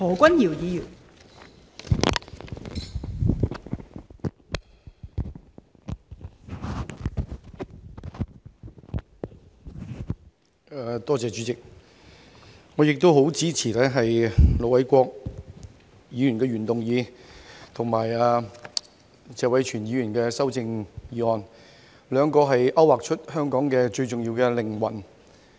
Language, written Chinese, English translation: Cantonese, 代理主席，我十分支持盧偉國議員的原議案及謝偉銓議員的修正案，兩者均勾劃出香港最重要的靈魂。, Deputy President I support very much the original motion moved by Ir Dr LO Wai - kwok and the amendment proposed by Mr Tony TSE because both of which have outlined the most crucial element in Hong Kongs development